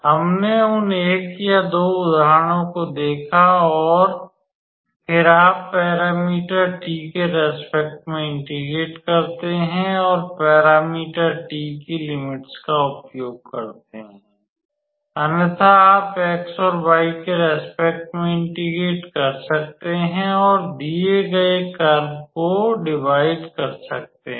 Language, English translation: Hindi, We saw those one or two examples like that and then, you integrate with respect to the parameter t and use the limits of the parameter t, otherwise you can also integrate with respect to x and y and divide the given a closed curve